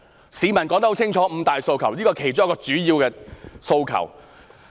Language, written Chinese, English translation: Cantonese, 在市民說得很清楚的"五大訴求"中，這是其中一個主要的訴求。, It is a main demand among the five demands clearly presented by the people